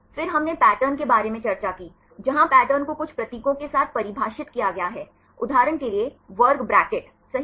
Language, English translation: Hindi, Then we discussed about patterns, where patterns are defined with some symbols, for example, square bracket right